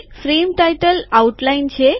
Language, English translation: Gujarati, Frame title is outline